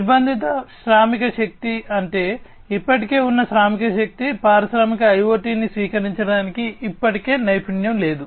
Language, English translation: Telugu, Constrained work force means, the work force that that is already existing is not already skilled to adopt industrial IoT